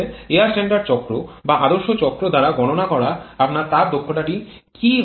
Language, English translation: Bengali, Then what will be your thermal efficiency predicted by the air standard cycle or the ideal cycle